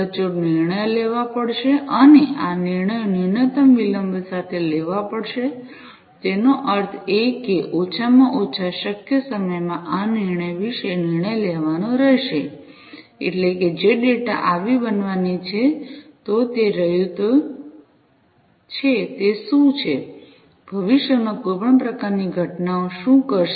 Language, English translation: Gujarati, Accurate decisions will have to be taken and these decisions will have to be taken with minimal latency; that means, in least possible time, this decision will have to be taken about decision means like you know what is the you know the data that are coming, what it is going to do you know what if there is any kind of thing that is going to happen in the future